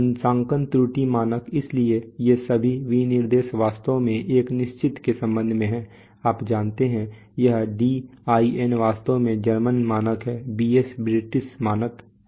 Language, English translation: Hindi, Calibration error standard so all these specifications are actually with respect to a certain, you know, this DIN is the actually the German standard, BS is the British standard